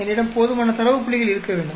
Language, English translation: Tamil, I should have enough data points